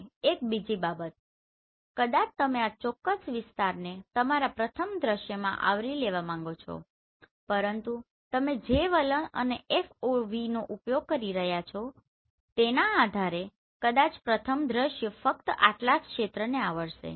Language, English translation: Gujarati, And one more thing you may want to capture this particular area in your first scene, but depending upon the attitude and the FOV you are using maybe the first scene may cover only this much area right